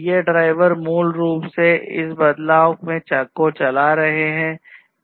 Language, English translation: Hindi, These drivers are basically driving this change